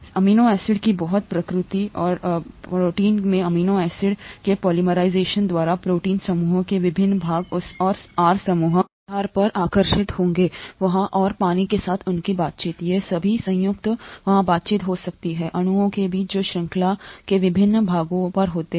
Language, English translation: Hindi, By the very nature of amino acids and the polymerisation of amino acids into proteins, different parts of the proteinaceous chain would attract depending on the side groups that are there and their interactions with water, all these combined, there could be interactions between molecules that are on different parts of the chain